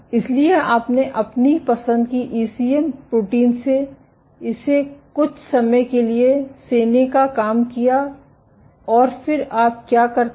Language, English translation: Hindi, So, you incubated with your ECM protein of choice let it fit for some time and then what you do